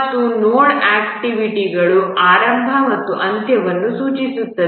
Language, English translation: Kannada, And nodes indicate the beginning and end of activities